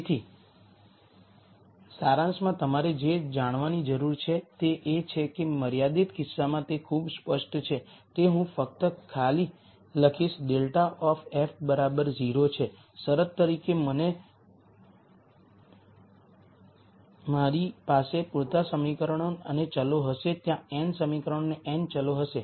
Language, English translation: Gujarati, So, in summary what you need to know is that in the unconstrained case it is very clear that I just simply write this grad of f is 0 as the condition and I will have enough equations and variables there will be n equations and n variables